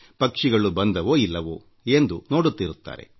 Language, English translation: Kannada, And also watch if the birds came or not